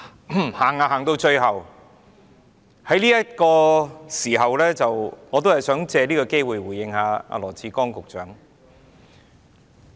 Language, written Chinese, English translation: Cantonese, 主席，來到最後這個時刻，我想借這個機會回應羅致光局長。, President at this final moment I would like to take this opportunity to reply to Secretary Dr LAW Chi - kwong